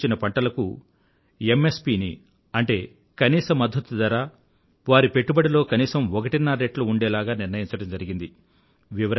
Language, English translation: Telugu, It has been decided that the MSP of notified crops will be fixed at least one and a half times of their cost